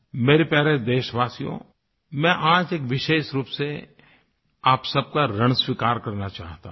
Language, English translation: Hindi, My dear countrymen, I want to specially express my indebtedness to you